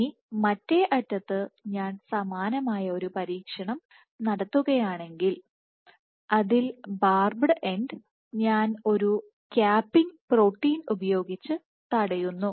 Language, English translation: Malayalam, So, if I similarly do an experiment in which I block the barbed end with a capping protein